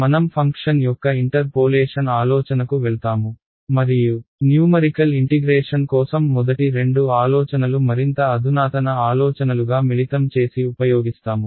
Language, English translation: Telugu, We will proceed to the idea of interpolation of a function and use the idea combine the first two ideas into more advanced ideas for numerical integration ok